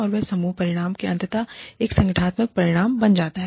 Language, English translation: Hindi, And, that becomes a team outcome, and eventually, an organizational outcome